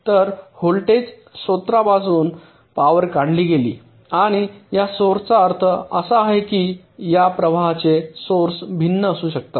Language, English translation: Marathi, so power is drawn from the voltage source, and this source, i mean sources of these currents can be various